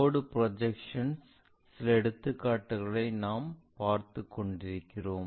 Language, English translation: Tamil, And we are working out few examples on line projections